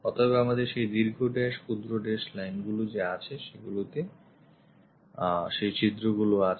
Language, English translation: Bengali, So, we have that long dash, short dash lines on which these holes has been have been drilled and there are four holes